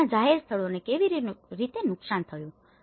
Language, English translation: Gujarati, And their public places, how they were damaged